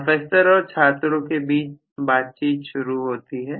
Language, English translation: Hindi, Conversation between professor and students starts